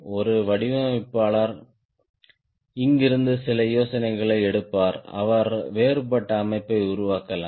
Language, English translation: Tamil, a designer will take some idea from here and he may make a different alter than layout